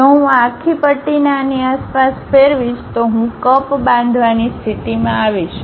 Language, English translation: Gujarati, If I revolve this entire spline around this one, I will be in a position to construct a cup